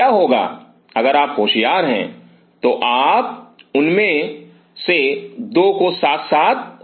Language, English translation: Hindi, What if you are clever you could have 2 of them side by side